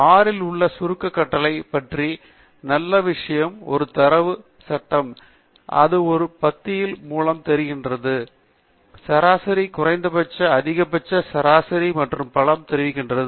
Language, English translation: Tamil, The nice thing about the summary command in R is that for a data frame, it looks through every column and reports the mean, minimum, maximum, median and so on